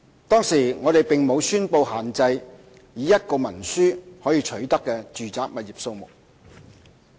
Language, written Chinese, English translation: Cantonese, 當時我們並無宣布限制以一份文書可取得的住宅物業數目。, At that time we had not announced any restriction on the number of residential properties acquired under a single instrument